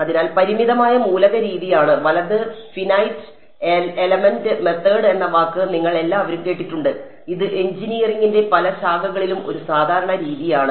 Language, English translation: Malayalam, So, finite element method is; you’ve all heard the word right finite element method it is a standard method in many branches of engineering ok